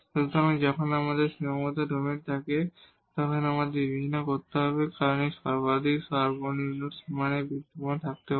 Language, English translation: Bengali, So, when we have the bounded domain we have to consider because this maximum minimum may exist at the boundaries